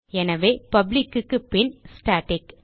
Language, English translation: Tamil, So after public type static